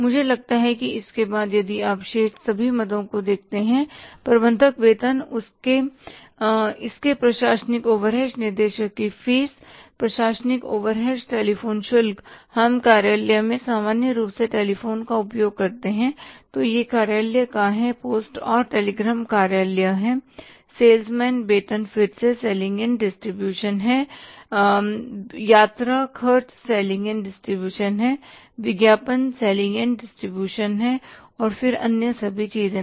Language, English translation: Hindi, I think after that if you look at all the items remaining, say manager salary, it is administrative overhead, director's fees, administrative overhead, telephone charges, use the telephone in the office normally, stationary it is the office, post and telegram is the office, salesman salaries is the again selling and distribution, traveling and expenses, selling and distribution, advertising is selling and distribution and then the other all items